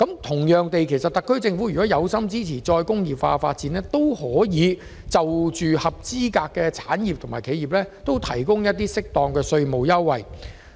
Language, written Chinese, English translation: Cantonese, 同樣地，特區政府若有心支持再工業化，也可向合資格產業和企業提供合適的稅務優惠。, Similarly if the SAR Government wants to support re - industrialization it may also provide appropriate tax concessions to eligible industries and enterprises